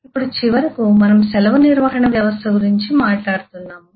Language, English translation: Telugu, now all, finally, we are talking about a leave management system